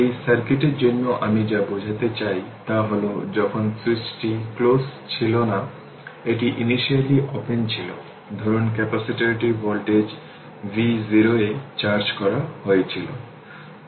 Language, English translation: Bengali, What I want to mean for this circuit for this circuit right for this circuit , that when switch was not close, it was open initially, suppose capacitor was this capacitor was charged at voltage v 0 right